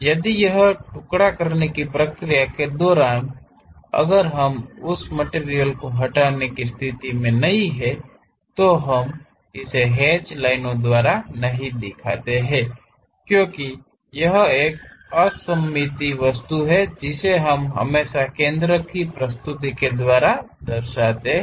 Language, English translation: Hindi, If this during the slicing, if we are not in a position to remove that material then we do not show it by hatched lines; because this is a symmetric object we always show it by center line information